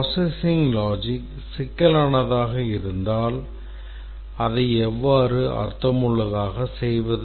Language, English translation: Tamil, Let's look at if the processing logic is complex, how do we meaningfully represent it